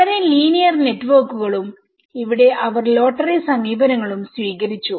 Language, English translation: Malayalam, And a very linear networks and here they have taken a lottery approaches